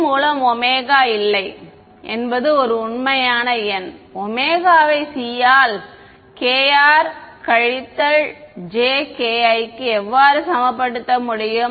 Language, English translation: Tamil, No omega by c is a real number how can omega by c equal to k r minus j k i